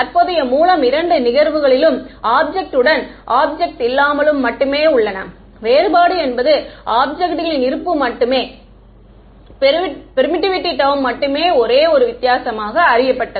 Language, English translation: Tamil, The current sources is there in both cases with and without object the only difference is the objects presence came to be known due to permittivity term that is the only difference right